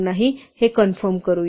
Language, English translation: Marathi, Let just confirm this